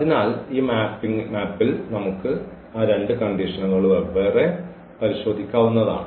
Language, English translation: Malayalam, So, we can check those 2 conditions separately on this map